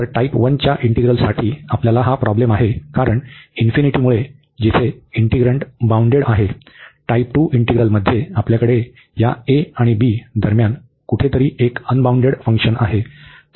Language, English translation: Marathi, So, for integral of type 1 we have the problem because of the infinity where the integrand is bounded, in type 2 integral we have a unbounded function somewhere between this a and b